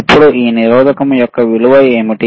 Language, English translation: Telugu, Now what is the value of this resistor right